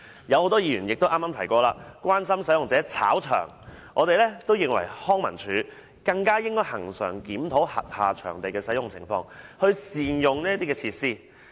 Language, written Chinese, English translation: Cantonese, 很多議員剛才也關心到使用者"炒場"的問題，我認為康文署更應恆常檢討轄下場地的使用情況，善用設施。, Many Members expressed concern over the touting of venue tickets . I hold that LCSD should regularly review the usage of its venues to ensure proper use of its facilities